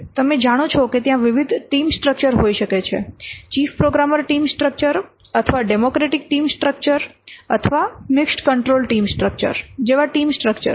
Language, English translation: Gujarati, You know that there could be different team structures like chief programmer team structure or democratic team structure or mixed control team structure